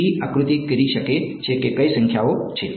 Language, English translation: Gujarati, Tt can figure out which numbers are